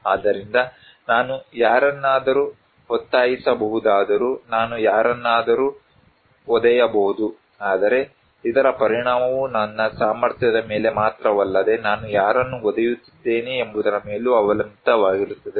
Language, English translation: Kannada, So, even though I can force someone, I can just kick someone, but it impact depends not only on my capacity but also whom I am kicking